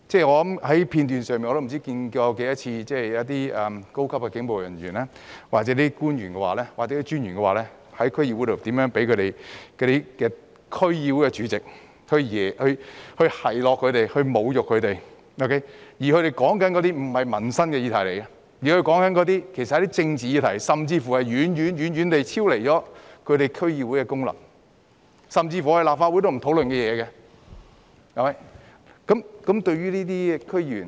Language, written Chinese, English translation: Cantonese, 我已不知多少次從片段看到，高級警務人員、官員或專員在區議會會議上遭受區議會主席的奚落或侮辱，但所討論的卻不是民生的議題，而是政治議題，甚至是遠遠超出區議會功能，連立法會也不會討論的議題。, I cannot tell for how many times I have seen from video clips that senior police officers government officials or DOs were taunted or insulted by DC Chairmen at the DC meetings during which political but not livelihood issues were discussed . They had even gone beyond their functions and discussed issues that even the Legislative Council will not touch on